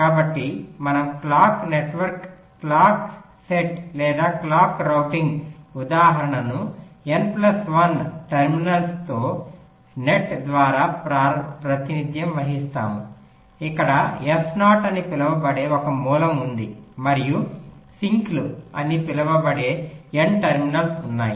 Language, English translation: Telugu, so we define a clock network, a clock net or a clock routing ins[tance] instance as represented by a net with n plus one terminals, where there is one source called s zero and there are n terminals, s called sinks